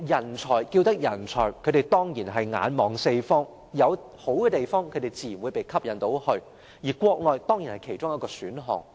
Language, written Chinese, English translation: Cantonese, 人才之所以稱為人才，他們當然是眼看四方，有好的地方自然會被吸引過去，而國內當然是其中一個選項。, Talents as they are so called will definitely set eyes on opportunities on different fronts and naturally be attracted to good places where Mainland is obviously a choice